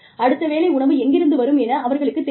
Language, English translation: Tamil, They do not know, where the next meal is, going to come from